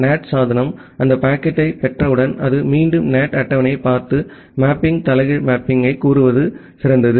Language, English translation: Tamil, Once the NAT device receives that packet, it again look into the NAT table to find the mapping the reverse mapping better to say